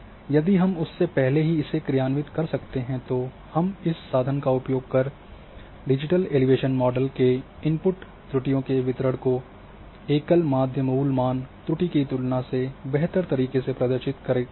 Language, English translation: Hindi, So, if we can perform before that then we can also use this tool to access the errors in our input digital elevation model and accuracy surface would give a better representation of the distribution of errors within a DEM than a single RMSE value